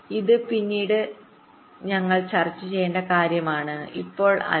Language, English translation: Malayalam, this is something we shall be discussing later, not right now